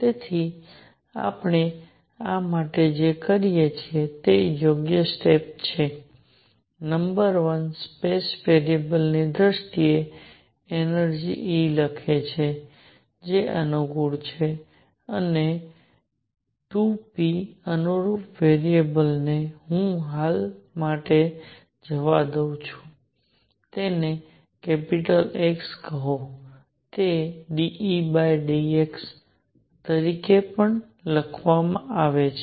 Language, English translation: Gujarati, So, what we do for this is right step number one write energy E in terms of space variables whichever are convenient and 2, p corresponding that variable let me for the time being; call it capital X is given as partial derivative of E divided by partial X dot